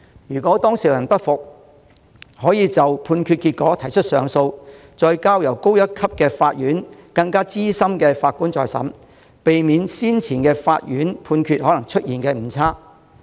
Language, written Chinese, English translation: Cantonese, 如當事人不服，可就判決結果提出上訴，再交由較高級法院由更資深法官審理，避免先前法院的判決可能出現誤差。, If a party is dissatisfied he may appeal against the judgment and the case will be tried by a senior judge at a higher level court; this can avoid mistakes made in the judgment by the previous court